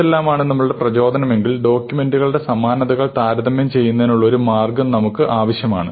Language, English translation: Malayalam, So, if this is our motivation, we need a way of comparing documents what is a good measure of similarity of documents